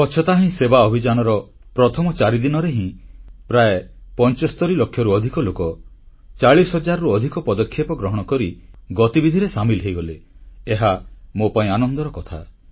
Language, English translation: Odia, It is a good thing and I am pleased to know that just in the first four days of "Swachhata Hi Sewa Abhiyan" more than 75 lakh people joined these activities with more than 40 thousand initiatives